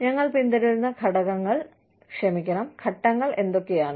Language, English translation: Malayalam, And, you know, what are the steps, we follow